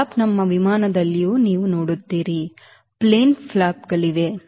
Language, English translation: Kannada, you will see now aircraft also, there are flap, plane flaps